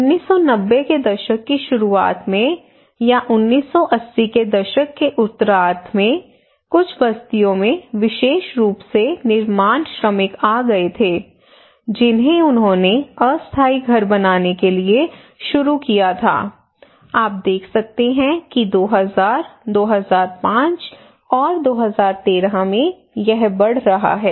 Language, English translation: Hindi, In 1990 in the early 1990s or late 1980s some settlements have come especially the construction workers they started to build temporary houses, in 1995 that is also increasing you can see again 2000, 2005, and 2013